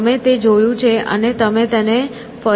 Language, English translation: Gujarati, So, you have seen it and you can look at it again